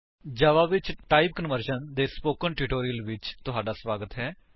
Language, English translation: Punjabi, Welcome to the Spoken Tutorial on Type Conversion in Java